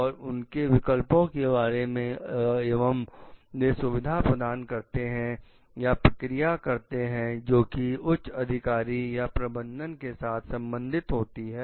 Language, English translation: Hindi, And of their options and they are like facilitate and exercises for like relating to the higher authority or management